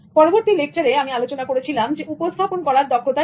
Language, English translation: Bengali, In the next lecture, I started focusing on communication skills